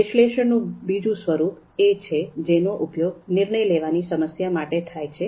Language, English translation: Gujarati, There is another form of analysis that can be used for decision making problems